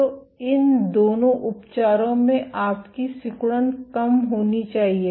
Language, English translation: Hindi, So, in both these treatments your contractility should go down